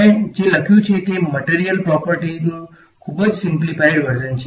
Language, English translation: Gujarati, I have what I have written is a very simplified version of material properties